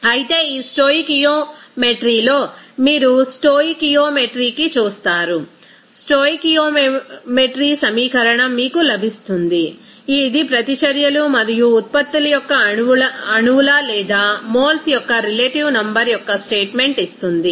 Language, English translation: Telugu, Whereas, in this stoichiometry you will see that to stoichiometry, you will get that the stoichiometry equation, that will give you the statement of the relative number of the molecules or moles of reactants and products